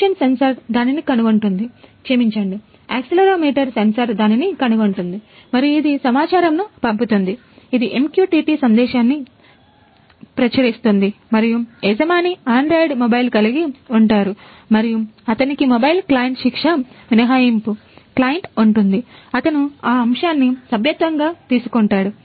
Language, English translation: Telugu, The motion sensor will detect it; sorry the accelerometer sensor would detect it and it will send, it will publish a MQTT message and the owner has an android mobile and he has a mobile client impunity client, he has subscribed to that topic